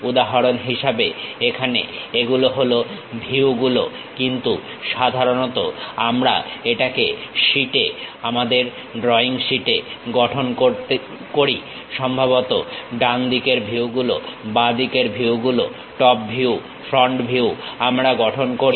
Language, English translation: Bengali, For example here these are the views, but usually we construct it on sheet, our drawing sheets; perhaps right side views, left side views, top view, front view we construct